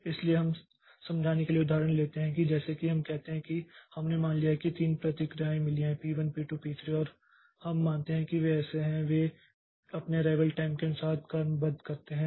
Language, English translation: Hindi, So, we'll take an example to explain the case like say we have suppose we have got three processes, P1, P2, P3 and we assume that the error so they are sorted by their arrival times